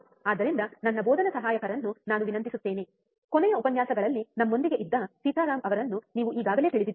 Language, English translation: Kannada, So, I will request my teaching assistant, you already know him Sitaram who was us with us in the last lectures right